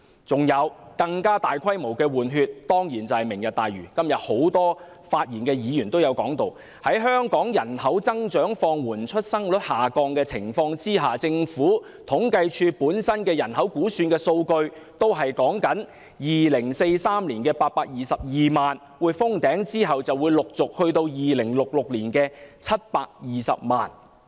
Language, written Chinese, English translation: Cantonese, 此外，更大規模的"換血"，當然是"明日大嶼"——今天多位發言的議員也提及——在香港人口增長放緩，出生率下降的情況下，政府統計處的人口估算數據也顯示 ，2043 年的822萬是人口的頂峰，其後便陸續回落至2066年的720萬。, Definitely the Lantau Tomorrow programme as mentioned by a number of Members in their speeches today is another population replacement project on a greater scale . Hong Kong is now facing low population growth and low birth rate . According to the population projections of the Census and Statistics Department Hong Kongs population will increase to a peak of 8.22 million in 2043 and then decline to 7.2 million in 2066